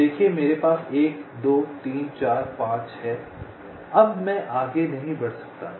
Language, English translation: Hindi, you see i have one, two, three, four, five